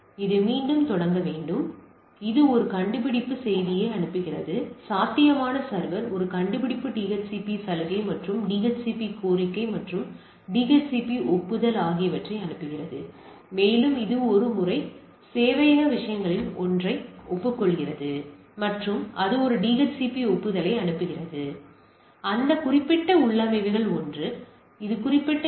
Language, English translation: Tamil, So, it initializes has to repeat it sends a discover message, the potential server sends a discover DHCP offer and DHCP request and requesting and DHCP acknowledge and it sends a once that one of the server things are there acknowledge and it sends a DHCP acknowledge and bound to that particular configurations one it is there it is attached with that particular DHCP server